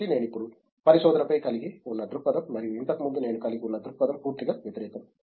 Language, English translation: Telugu, So, the perspective that I now have on research and the perspective that I had before is completely opposites